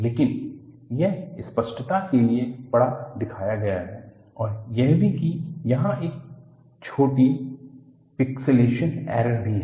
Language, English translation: Hindi, But, it is shown big for clarity and also, there is also a small pixilation error here